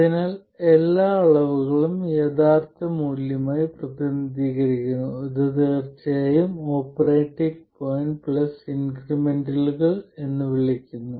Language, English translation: Malayalam, So, all quantities are represented as the original value which of course is called the operating point plus increments over the operating point